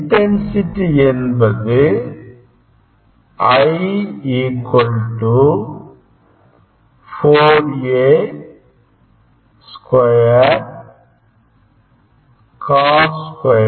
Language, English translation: Tamil, intensity is 4 A square cos square phi